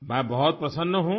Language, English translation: Urdu, I am very happy